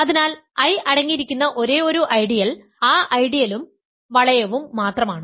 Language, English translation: Malayalam, So, the only ideal that contains I; the only ideals that contain I are the ideal itself and the ring itself